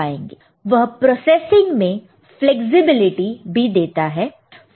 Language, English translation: Hindi, It provides flexibility in processing